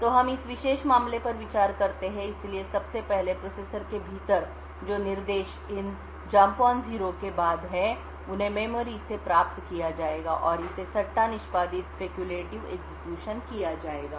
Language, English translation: Hindi, So, let us consider this particular case, so first of all within the processor the instructions that is following these jump on no 0 would get fetched from the memory and it will be speculatively executed